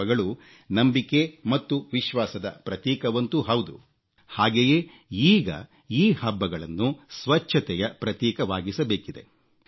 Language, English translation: Kannada, Festivals are of course symbols of faith and belief; in the New India, we should transform them into symbols of cleanliness as well